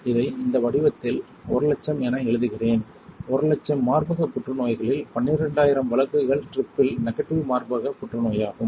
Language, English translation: Tamil, Out of 100000, 12000 cases right let me write down 100000 in this format out of 100000 cases of breast cancer 12000 cases are triple negative breast cancer